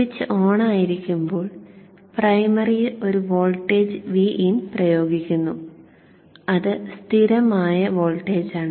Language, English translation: Malayalam, So when the switch is on, there is a voltage V in applied across the primary which is a constant voltage